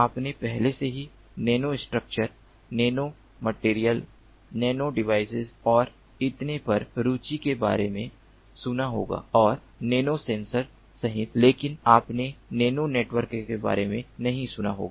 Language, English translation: Hindi, you must have already heard about lot of interest in nano structures, nano materials, nano devices and so on and in including nano sensors, but you may not have heard about nano networks